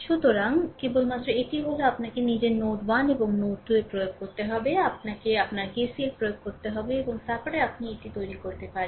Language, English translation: Bengali, So, only thing is that that you have to apply your at node 1 and node 2, you have to apply your ah KCL right and after that you make it